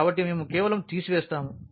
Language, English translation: Telugu, So, we will just subtract